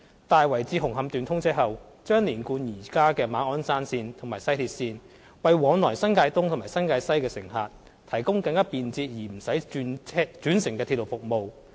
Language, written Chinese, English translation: Cantonese, 在"大圍至紅磡段"通車後，將連貫現時的馬鞍山線及西鐵線，為往來新界東及新界西的乘客提供更便捷而不用轉乘的鐵路服務。, After the commissioning of the Tai Wai to Hung Hom Section it will link up the existing Ma On Shan Line and West Rail Line . A convenient railway service will be provided for passengers commuting between the East New Territories and West New Territories as no interchange is required